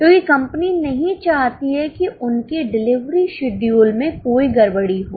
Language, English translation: Hindi, Because company does not want any disturbance in their delivery schedules